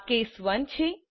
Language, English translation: Gujarati, This is case 1